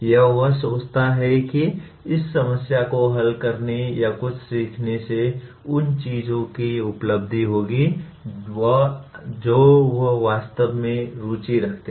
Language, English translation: Hindi, Or he thinks that solving this problem or learning something will lead to achievement of things that he is truly interested